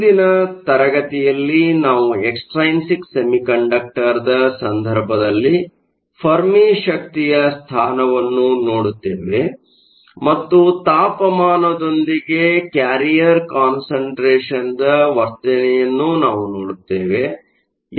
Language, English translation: Kannada, The next class we will look at the position of the Fermi energy in the case of an extrinsic semiconductor and we also look at the behavior of the carrier concentration with temperature